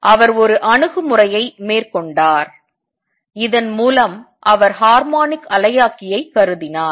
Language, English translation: Tamil, He took an approach whereby he considered the anharmonic oscillator